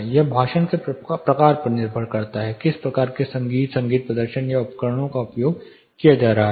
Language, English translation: Hindi, It depends on what type of speech and music, music performance or instruments are used